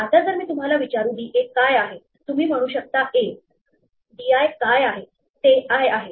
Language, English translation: Marathi, So, now, if I ask you what is d a, you can a, what is d i, it is i